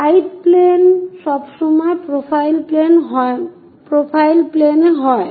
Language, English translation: Bengali, Side planes are always be profile planes